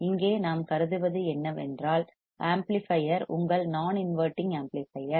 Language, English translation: Tamil, Here we have considered the amplifier is your non inverting amplifier